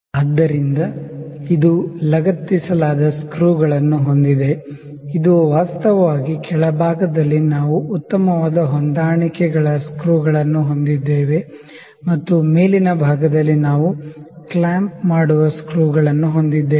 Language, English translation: Kannada, So, it has a screws attached to it, this is actually on the lower side we have the fine adjustments screw and on the upper side we have the clamping screws